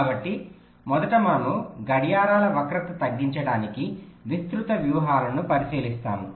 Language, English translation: Telugu, so first we look at the broad strategies to reduce the clocks skew